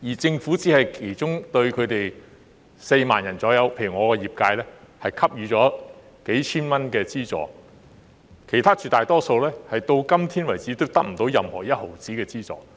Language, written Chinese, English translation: Cantonese, 政府只是對其中4萬人——例如我的業界——給予數千元資助，其他絕大多數人至今仍得不到一分錢的資助。, Among this group of people only 40 000 people such as members of my constituency received a subsidy of a few thousand dollars from the Government while the majority of the self - employed persons cannot get any subsidy so far